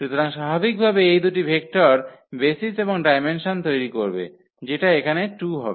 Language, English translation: Bengali, So, naturally these two vectors will form the basis and the dimension of this basis here will be 2